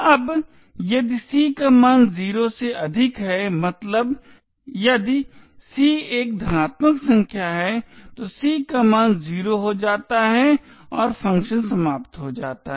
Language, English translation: Hindi, Now if c has a value greater than 0 that is if c is a positive number then the value of c becomes 0 and the function would terminate